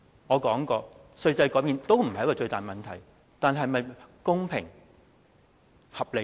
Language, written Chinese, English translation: Cantonese, 我說過，稅制改變都不是一個最大問題，但這是否公平和合理呢？, As I have mentioned a change in the tax regime is not the biggest question but is the change fair and reasonable?